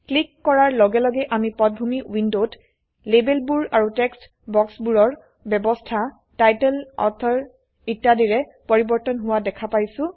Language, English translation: Assamese, As we click through, we see the background window, changing, in the arrangement of labels and text boxes saying title, author etc